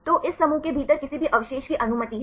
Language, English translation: Hindi, So, any residues within this groups is allowed